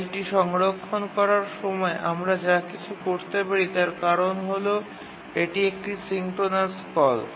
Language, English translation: Bengali, While the file is being saved, you can do anything because it's a synchronous call